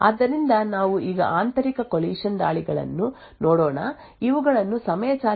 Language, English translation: Kannada, So, we will now look at internal collision attacks these are properly known as time driven attacks